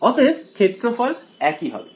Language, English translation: Bengali, So, the area should be the same